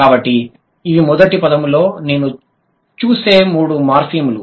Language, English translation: Telugu, So, these are the three morphems that I see in the first word